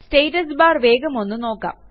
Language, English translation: Malayalam, Look at the Status bar quickly